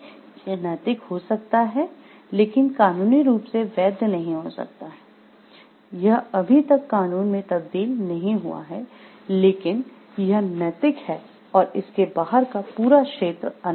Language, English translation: Hindi, This is may be ethical, but may not be legal in the sense, it has not yet been transformed into law, but this is ethical and the domain whole outside is unethical